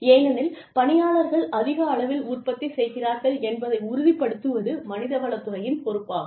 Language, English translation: Tamil, Because, it is the responsibility of the human resources department, to ensure that, people become more and more productive